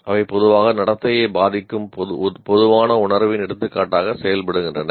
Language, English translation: Tamil, They serve as general feeling indicators that usually influence behavior